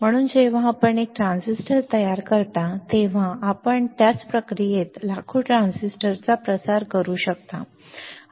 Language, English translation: Marathi, So, when you fabricate one transistor, you can propagate millions of transistor in the same process right